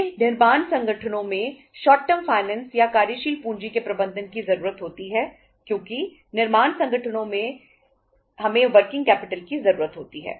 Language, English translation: Hindi, We require the short term finance or management of working capital in the manufacturing firms because in the manufacturing firms only we require the working capital